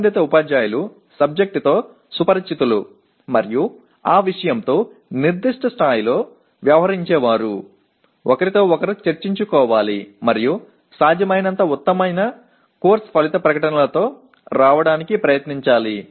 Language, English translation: Telugu, That the concerned teachers who are familiar with the subject matter and dealing with that subject matter at that particular level should discuss with each other and try to come with best possible set of course outcome statements